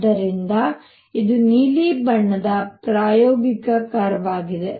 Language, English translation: Kannada, So, this is the experimental curve the blue one